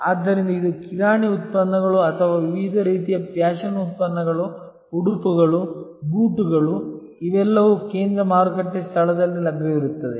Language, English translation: Kannada, So, whether it are grocery products or various kinds of fashion products, apparels, shoes all these will be available in a central market place